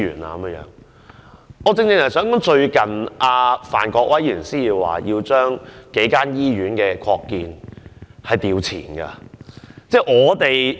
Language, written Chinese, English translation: Cantonese, 我正正想指出，范國威議員最近提出，要求將數間醫院的擴建撥款調前審批。, I wish to say that Mr Gary FAN recently proposed to advance the funding proposal on the expansion projects of several hospitals for scrutiny